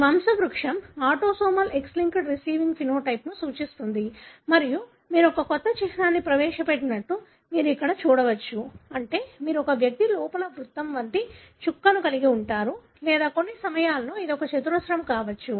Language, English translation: Telugu, This pedigree represents an autosomal X linked recessive phenotype and you can see here that you have introduced a new symbol that is you have a dot inside an individual like either a circle or at times it could be a square